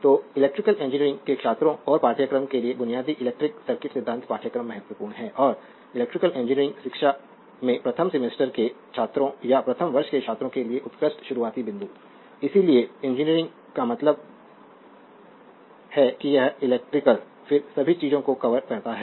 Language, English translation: Hindi, So, therefore, the basic electric circuit theory course is your important course for an electrical engineering student and of course, and excellent starting point for a first semester student or first year student in electrical engineering education, electrical engineering means it covers all the things like electrical, then your electronics ecu call then your instrumentation